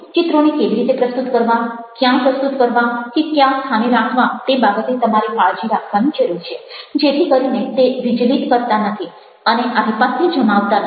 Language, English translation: Gujarati, images: how to present images is something which you need to be very careful about: where to present them, where to place them, so that they do not either become distracting and or too dominating